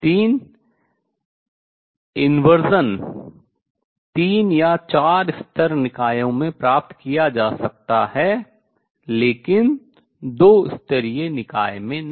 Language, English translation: Hindi, Three inversion is achievable in three or four level systems, but not in a two level system